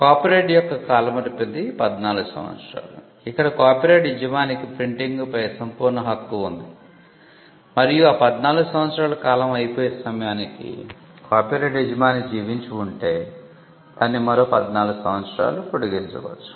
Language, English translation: Telugu, The term of the copyright was 14 years, where the copyright owner had the soul right of printing and it could be extended by another 14 years if the copyright owner was alive at the end of the 14 years